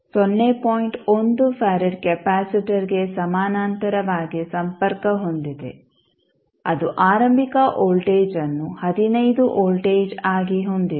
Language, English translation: Kannada, 1 Fared capacitor who is having initial voltage as 15 volts